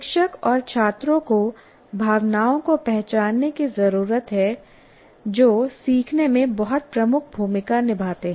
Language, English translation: Hindi, And the teacher and the students have to recognize emotions play a very dominant role in the learning